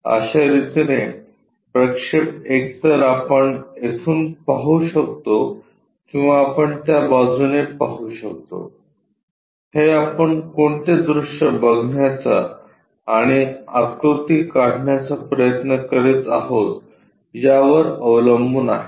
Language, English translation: Marathi, The way we do these projections is either we can look from here or we can look from side it depends on which view we are trying to look at draw this figure